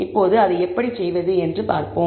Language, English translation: Tamil, Now, let us see how to do that